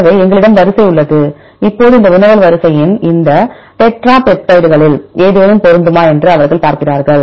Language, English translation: Tamil, So, we have the sequence, now they see whether there is a match of this query sequence with any of these tetra peptides in the sequence